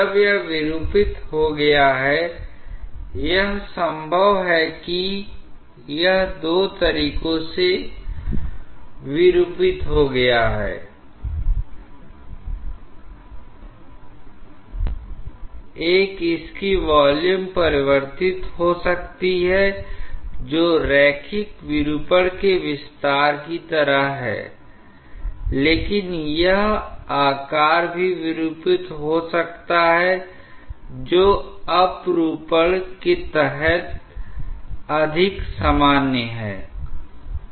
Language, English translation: Hindi, When it has got deformed, it is possible that it has got deformed in two ways; one is its volume might have got changed which is like extension of the linear deformation, but it is shape might have also got distorted which is more common if it is under shear